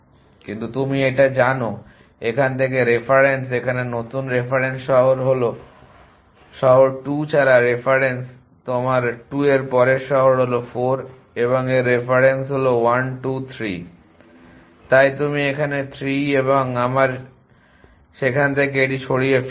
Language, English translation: Bengali, But your know this from here reference here new reference is the reference without the city 2 the next city in your 2 are is 4 and its reference is 1 2 3 so you right 3 here and we remove that from there